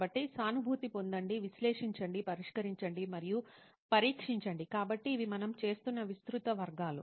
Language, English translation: Telugu, So empathize, analyze, solve and test so these are the sort of broad categories what we are doing